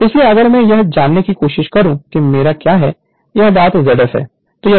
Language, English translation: Hindi, So, if you try to find out what is my this thing Z f